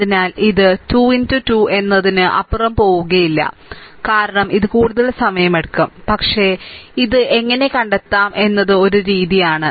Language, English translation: Malayalam, So, not will not go beyond 3 into 3, because it will take more time, but this is a methodology that how to find out